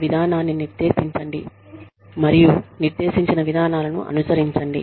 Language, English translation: Telugu, Lay down a policy, and follow the procedures, that have been laid down